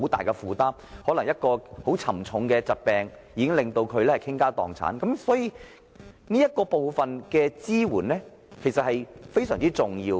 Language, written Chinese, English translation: Cantonese, 例如，他們可能因患上嚴重疾病而要傾家蕩產，這方面的支援因此變得非常重要。, For example they may have to deplete their family savings because they have contracted serious illnesses . Support in this regard is thus vitally important